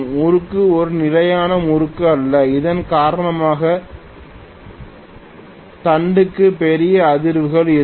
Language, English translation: Tamil, The torque is not a constant torque because of which there will be huge vibrations in the shaft